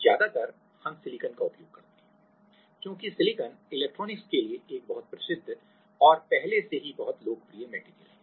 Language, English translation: Hindi, So, mostly we use silicon, because silicon is a very well known and already very popular material for electronics